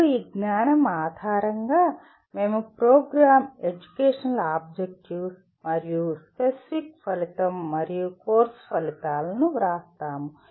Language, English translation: Telugu, Then based on this knowledge, we what you call, we write Program Educational Objectives, Program Specific Outcomes and Course Outcomes